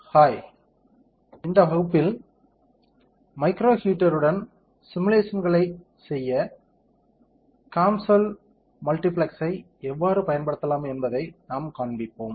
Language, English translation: Tamil, Hi, in this class we will be showing how can you use the COMSOL Multiphysics to perform simulations with a micro heater, right